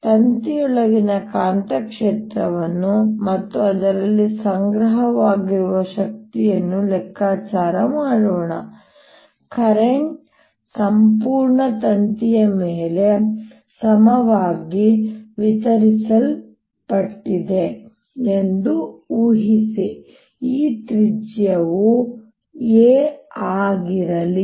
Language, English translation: Kannada, let us calculate the magnetic field inside this wire and the energy stored in that, assuming that the current is distributed over the entire wire evenly